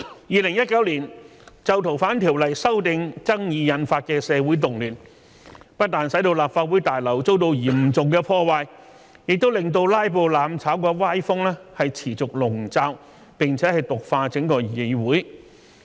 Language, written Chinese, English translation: Cantonese, 2019年就《逃犯條例》修訂爭議引發的社會動亂，不但使立法會大樓遭到嚴重破壞，也令"拉布""攬炒"的歪風持續籠罩並毒化整個議會。, In 2019 amid the social unrest triggered by the controversy in connection with the amendment to the Fugitive Offenders Ordinance not only was the Legislative Council Complex seriously vandalized but the whole Council was also clouded and poisoned by the noxious trend of filibustering and mutual destruction